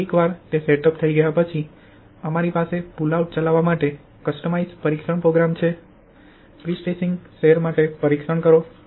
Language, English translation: Gujarati, So once those setups are done, we have a customised test program for running the pull out test for prestressing strands